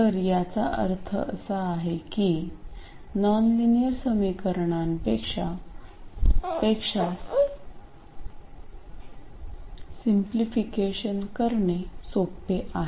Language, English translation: Marathi, So, that means that it is much easier to solve than the nonlinear equation